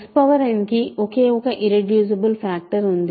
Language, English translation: Telugu, X power n has only one irreducible factor